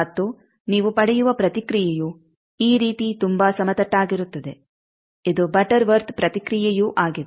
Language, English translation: Kannada, And the response you get very flat like this also this is butterworth response